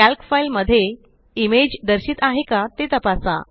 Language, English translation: Marathi, Check if the image is visible in the Calc file